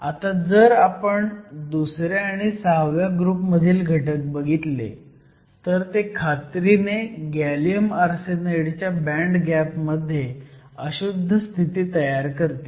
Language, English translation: Marathi, So, if you look at the various elements the group II and the group VI elements, these will essentially form impurity states in the band gap of gallium arsenide